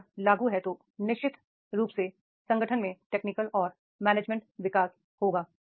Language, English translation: Hindi, If that that is applicable, then definitely there will be technical and management development in the organization